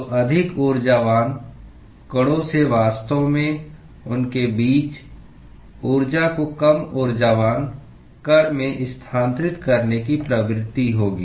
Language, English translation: Hindi, So, the more energetic particles would actually have the tendency because of this interaction between them to transfer the energy to a less energetic particle